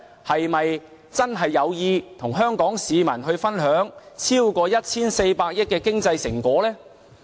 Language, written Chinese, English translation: Cantonese, 是否真的有意與香港市民分享超過 1,400 億元的經濟成果呢？, Does the Government really want to share the more than 140 billion economic fruits?